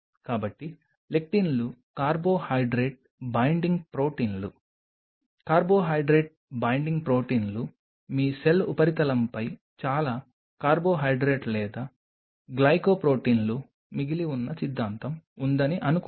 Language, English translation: Telugu, So, lectins are Carbohydrate Binding Proteins; Carbo Hydrate Binding Proteins suppose your cell surface has lot of carbohydrate or glycoproteins remaining theory